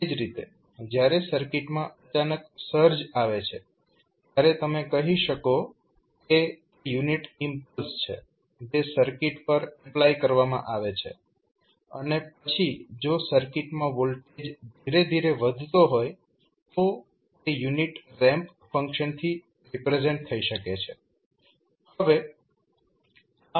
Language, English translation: Gujarati, Similarly, when there is a sudden search coming into the circuit, then you will say this is the unit impulse being applied to the circuit and then if the voltage is building up gradually to the in the circuit then, you will say that is can be represented with the help of unit ramp function